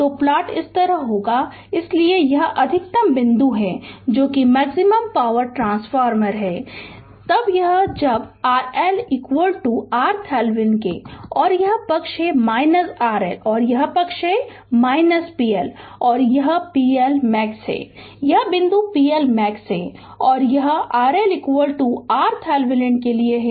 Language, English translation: Hindi, So, plot will be like this so this is the maximum point that is the maximum power transfer right, it will happen when R L will be is equal to R Thevenin and this side is your R L and this side is your p L and this is the p L max this point is the p L max and this is for R L is equal to R Thevenin